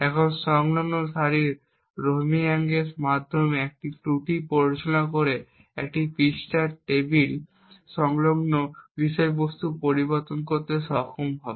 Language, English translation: Bengali, Now by inducing an error through the Rowhammering of the adjacent rows we would be able to modify the contents of the page table